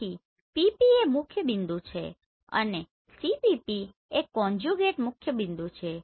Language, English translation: Gujarati, So PP is your principal point CPP is your conjugate principal points